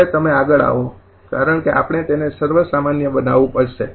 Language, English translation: Gujarati, next you would, because we have to generalize it